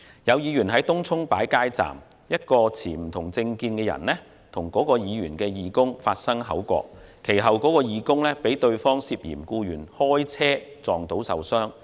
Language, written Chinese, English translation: Cantonese, 有候選人在東涌擺設街站，一名持不同政見人士與他的義工發生口角，其後該義工更遭對方涉嫌故意開車撞倒受傷。, Earlier a candidate set up a street booth in Tung Chung and a person holding dissenting political views had a quarrel with a volunteer of his electioneering team . The volunteer was subsequently hit and injured by a vehicle driven by that person and the incident was suspected to be an intentional attack